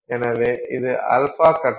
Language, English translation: Tamil, so this is alpha phase